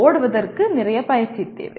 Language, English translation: Tamil, Running requires lot of practice